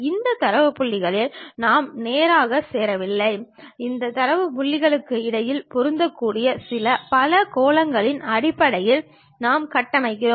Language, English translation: Tamil, We do not straight away join these data points, what we do is we construct based on certain, polygons fit in between these data points